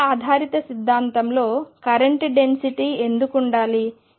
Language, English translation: Telugu, Why should there be a current density in time dependent theory